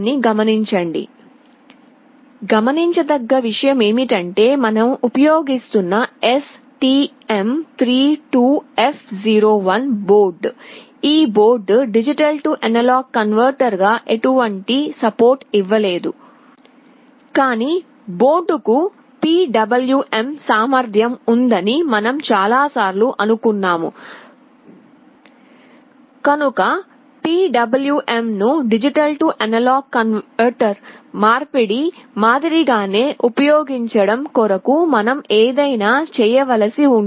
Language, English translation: Telugu, The point to note is that for the STM32F01 board that we are using, this board does not have any support for D/A converter, but I told you the board already has PWM capability and using PWM also we can do something which is very much similar to D/A conversion